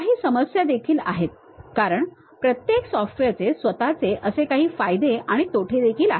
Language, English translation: Marathi, There are some issues also because every software has its own merits and also demerits